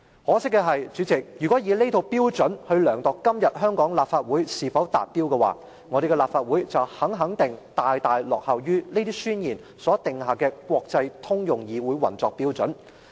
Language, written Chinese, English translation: Cantonese, 可惜的是，主席，如果以這套標準來量度今天香港的立法會是否達標的話，我們的立法會肯定大大落後於這些宣言所訂下的國際通用的議會運作標準。, Regrettably President if we check the Legislative Council of Hong Kong today against this set of standards the Legislative Council is definitely lagging far behind the international common standards of parliamentary operation